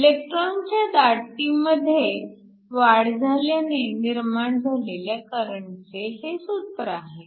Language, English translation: Marathi, So, this is the expression for the current due to the increase in the electron concentration